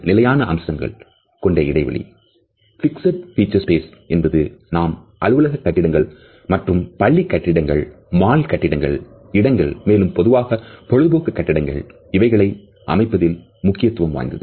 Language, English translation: Tamil, And the fixed feature space is significant in the way we construct office buildings or a schools or the shopping malls the religious places, places of public entertainment etcetera